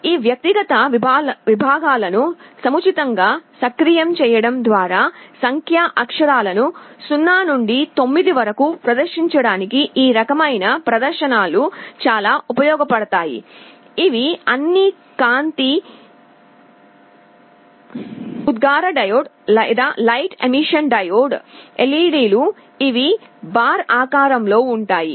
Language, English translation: Telugu, These kind of displays are very useful for displaying numeric characters 0 to 9 by suitably activating these individual segments, which are all light emitting diodes or LEDs, which are shaped in the form of a bar